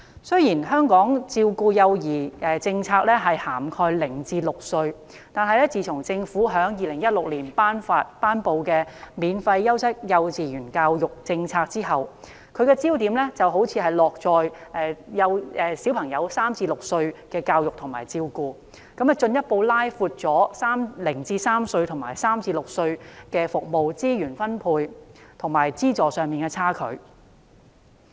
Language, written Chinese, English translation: Cantonese, 雖然香港照顧幼兒的政策涵蓋0至6歲，但自從政府在2016年頒布"免費優質幼稚園教育政策"後，其焦點好像落在3至6歲幼兒的教育及照顧服務，進一步拉闊了0至3歲與3至6歲服務在資源分配及資助上的差距。, In Hong Kong policies relating to child care cover those aged zero to six . But since the announcement of the Free Quality Kindergarten Education policy in 2016 the focus has apparently been shifted to the education and care services for children aged three to six . This has further widened the gap between services targeting children aged zero to three and those targeting children aged three to six in resource allocation and subsidy